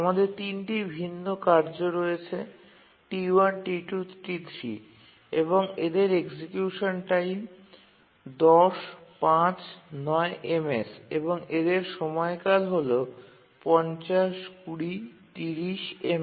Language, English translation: Bengali, We have a task set of three tasks T1, T2, T3, and their execution times are 10, 25 and 50 milliseconds, periods are 50, 150, and 200